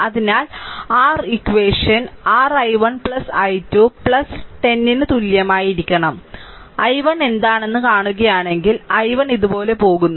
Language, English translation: Malayalam, So, your equation should be your i 1 plus i 2 ah plus 1 equal to 0 this is one equation right later we will and if you see what is i 1